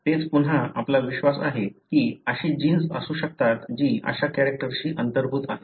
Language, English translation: Marathi, That is again we believe that there could be genes that are underlying such character